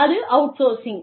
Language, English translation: Tamil, That is outsourcing